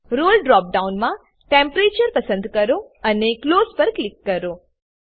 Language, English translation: Gujarati, In the Role drop down, select Temperature and click on Close